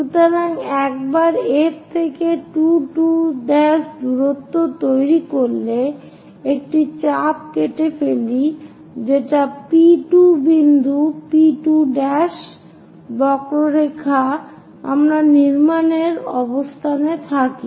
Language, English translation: Bengali, So, once we construct 2 2 prime distance from F cut an arc so that P 2 point P 2 prime arc we will be in a position to construct